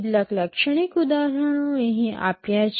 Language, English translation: Gujarati, Some typical examples are given here